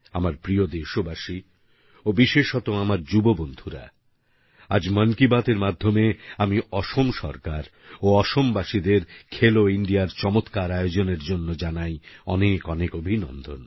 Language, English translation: Bengali, My dear countrymen and especially all my young friends, today, through the forum of 'Mann Ki Baat', I congratulate the Government and the people of Assam for being the excellent hosts of 'Khelo India'